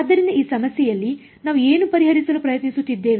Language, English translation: Kannada, So, in this problem what are we trying to solve for